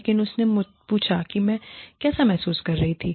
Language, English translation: Hindi, But, she asked me, how I was feeling